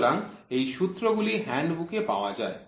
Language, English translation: Bengali, So, these are formulas which are available in the handbook